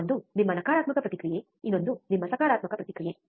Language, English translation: Kannada, One is your negative feedback, another one is your positive feedback